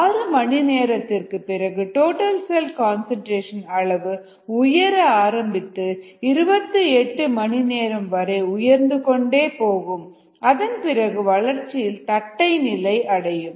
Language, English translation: Tamil, around six hours the cell concentration starts to increase till about twenty, eight hours and then it goes flat